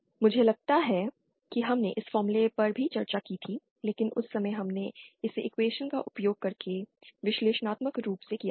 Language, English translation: Hindi, I think we had also found out, discussed this formula earlier but then at that time we had done it analytically using equations